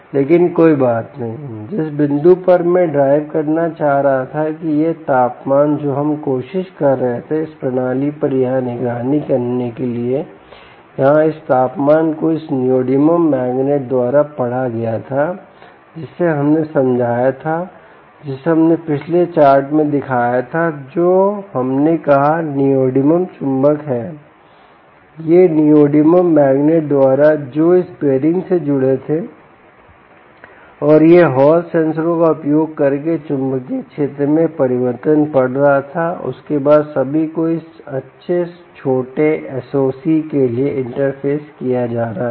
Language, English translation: Hindi, the point i was trying to drive at is that this temperature that we were trying to ah monitor here on this system, here, this temperature, here ah, was read by this ah samarium, ah, sorry, the neodymium magnets which we, which we explained, which we showed in the previous ah ah um, in the previous chart, which we said is neodymium magnet, these by the neodymium magnets which were connected to this ah um, this bearing, and it was reading the change in the magnetic field using hall sensors and after that, all of that being interfaced to this nice little s o c